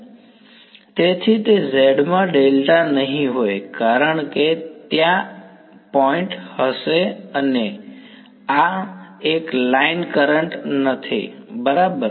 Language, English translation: Gujarati, So, it will not be a delta z because there will be a point so, this is not be a line current right